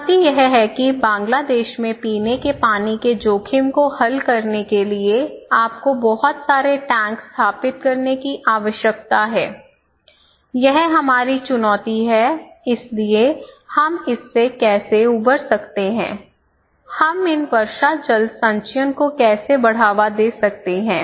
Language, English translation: Hindi, So, the challenge is therefore to solve the drinking water risk in Bangladesh, you need to install many, many, many, many so, this is our challenge so, how we can recover from this how, we can promote these rainwater harvesting, right so, this is our challenge given that how we can solve this problem